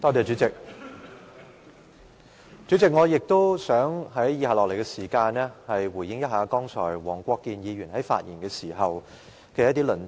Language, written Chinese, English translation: Cantonese, 主席，在以下的時間，我想回應一下黃國健議員剛才發言的一些論點。, President in my following speech I will respond to the arguments given by Mr WONG Kwok - kin in his earlier speech